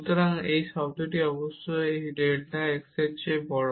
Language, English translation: Bengali, So, this term is certainly bigger than this delta x